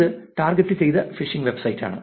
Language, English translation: Malayalam, it is targeted phishing website